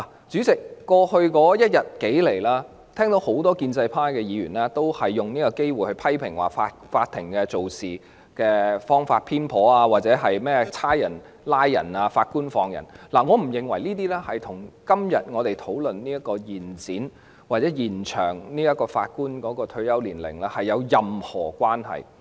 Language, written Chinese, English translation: Cantonese, 主席，在過去一天，我聽到很多建制派議員都藉此機會批評法庭處事手法偏頗，或者說"警察拉人，法官放人"，我不認為這些與我們今天討論延展法官退休年齡的議題有任何關係。, President during the past day I heard many Members of the pro - establishment camp seizing this opportunity voice the criticism that the Court had adopted a biased approach or saying that the people arrested by the Police are released by the Judges . I do not think these remarks have anything to do with the subject of extending the retirement age of Judges under discussion today